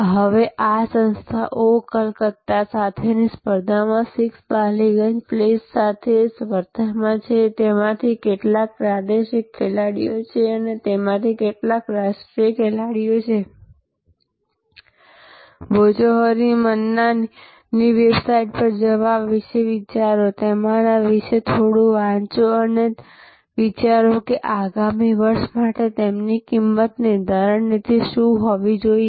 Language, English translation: Gujarati, Now, this organization is in competition with 6 Ballygunge place in competition with oh Calcutta, some of them are regional players, some of them are the national players and think about go to the website Bhojohori Manna, read a little bit about them, read about their competition